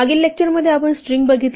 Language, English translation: Marathi, In the previous lecture, we look at strings